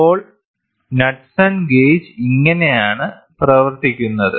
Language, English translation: Malayalam, So, this is how Knudsen gauge works